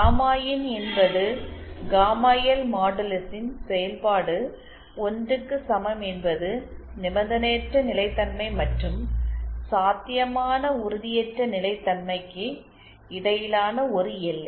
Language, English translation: Tamil, Gamma in is a function of gamma L modulus equal to 1 is a boundary between unconditional stability and potential instability